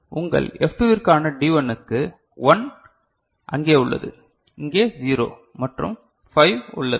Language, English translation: Tamil, For D1 which corresponds to your F2 ok, so, 1 is there here 0 and 5